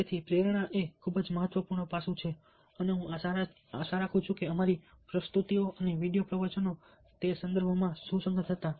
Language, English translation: Gujarati, so motivation is a very, very important aspect and i hope that our presentations and video lectures were relevant in those contexts